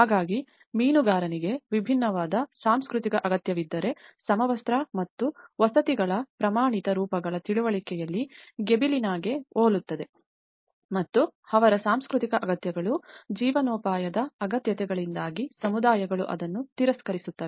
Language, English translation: Kannada, So if, the fisherman has a different cultural need and similar to the Gibellina of understanding of the uniform and the standardized forms of housing and how it often gets rejected by the communities because of their cultural needs, livelihood needs